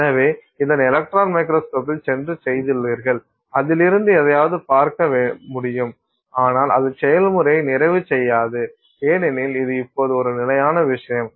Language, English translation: Tamil, So, you have made this, it goes into the electron microscope and you are able to see something from it through it but that doesn't complete our process because this is now a static thing